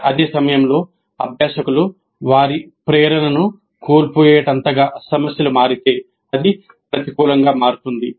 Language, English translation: Telugu, At the same time if the problems become so difficult that learners lose their motivation then it will become counterproductive